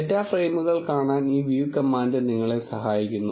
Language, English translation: Malayalam, This view command helps you to see the data frames